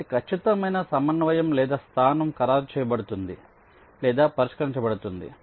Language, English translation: Telugu, they, their exact coordinate or location will be finalized or fixed